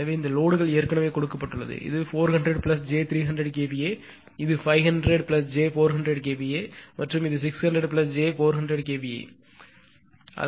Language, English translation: Tamil, Therefore, and this loads are already given this is 400 plus j 300 kVA; this is 500 plus j 400 kVA and this is 600 plus your j; I have missed here it is j 400 kVA right